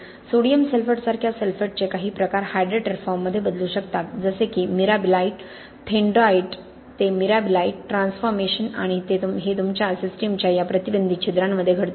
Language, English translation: Marathi, Certain forms of sulphate like sodium sulphate can transform into hydrated forms like thenardite to mirabilite transformation and this happens within these restricted pores spaces of your system, okay